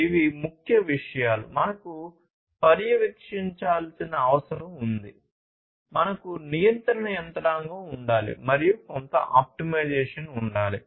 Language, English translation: Telugu, These are the key things that; we have seen we need to monitor, we need to have a control mechanism, and we need to have some optimization ok